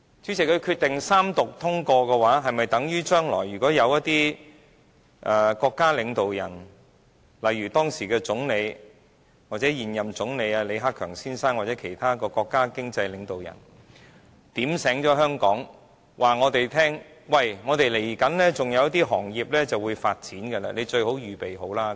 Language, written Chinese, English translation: Cantonese, 主席，如果決定三讀通過，是否等於將來如果有一些國家領導人，例如時任總理或現任總理李克強先生或其他國家經濟領導人，提醒香港人，他們稍後還有一些行業會發展，我們最好預備好。, President suppose the Bill is read the Third time does it mean that we will have to make preparations whenever any state leaders like incumbent Premier LI Keqiang or other state leaders happen to remind Hong Kong people in future that certain industries will grow